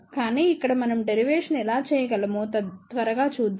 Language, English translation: Telugu, But over here, let us quickly see how we can do the derivation